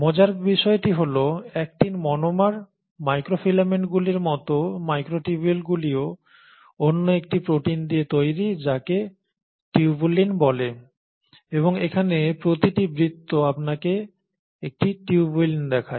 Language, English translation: Bengali, Now the beauty is, just like actin monomers, just like microfilaments the microtubules are made up of another protein called as tubulin and each circle here shows you a tubulin